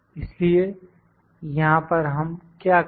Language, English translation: Hindi, So, what do we do here